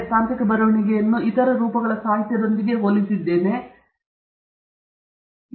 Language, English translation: Kannada, I have compared technical writing with other forms of literature and writing that you may be familiar with